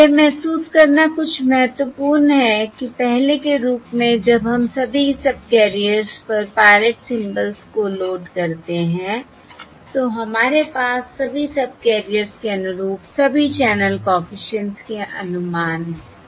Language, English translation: Hindi, that is where, as previously, when we load pilot symbols onto all the subcarriers, we have the estimates of all the channel coefficients um corresponding to all the subcarriers